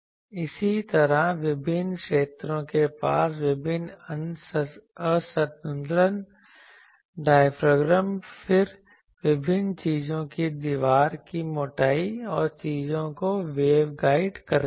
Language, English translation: Hindi, Similarly various discontinuity diaphragm near the various field then wall thickness of various a things wave guide things